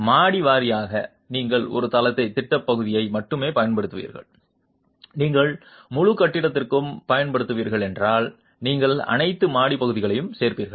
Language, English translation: Tamil, Floor wise you will use only a plan area of a floor if it is, if you are using for the entire building then you would add up all the floor areas